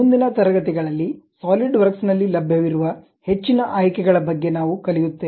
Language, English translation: Kannada, In next classes, we will learn about more options available at Solidworks